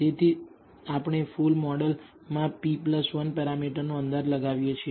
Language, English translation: Gujarati, So, we are estimating p plus 1 parameters in the full model